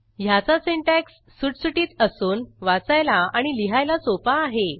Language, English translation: Marathi, It has an elegant syntax that is natural to read and easy to write